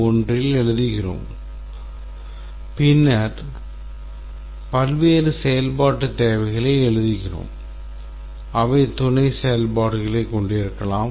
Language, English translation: Tamil, 1 functional requirements and then we write various functional requirements and they might have sub functions